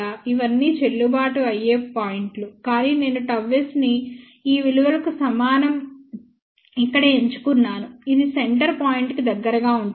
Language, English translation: Telugu, All these are valid points, but I have chosen here gamma s equal to this value over here which is closest to the central point